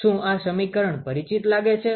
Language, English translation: Gujarati, Does this expression look familiar